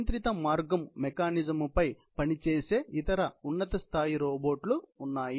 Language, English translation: Telugu, There are other higher level robots which work on controlled path mechanisms